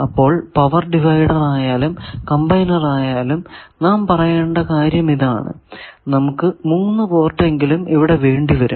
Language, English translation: Malayalam, So, Power Divider or Combiner whatever the thing the point is you require at least 3 port in this device